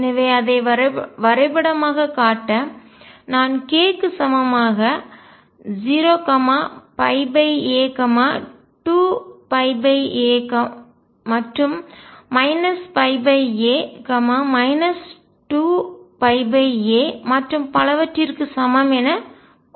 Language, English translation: Tamil, So, just to show it pictorially, if I have k equals 0 pi by a 2 pi by a and so on, minus pi by a minus 2 pi by a